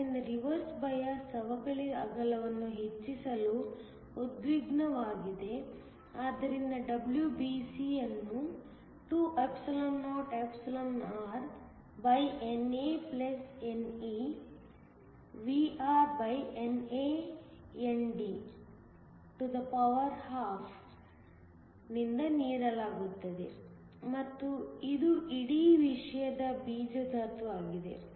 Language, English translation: Kannada, So, reversed bias tensed to increase the depletion width, so that WBC is given by 2or(NA+No)VrNAND1/2and this is the square root of the whole thing